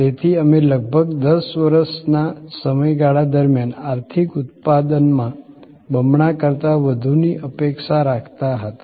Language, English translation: Gujarati, So, we were looking at more than doubling in the economic output over a span of about 10 years